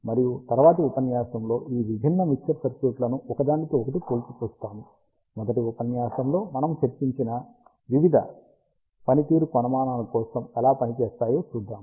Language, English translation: Telugu, And in the next lecture, we will see how this different mixer circuits in compared to each other perform for various performance metrics, that we discussed in the first lecture